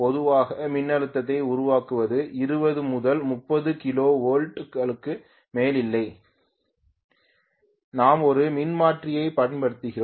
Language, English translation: Tamil, Generally generating voltage is not more than 20 to 30 kilo volts we use a transformer to step up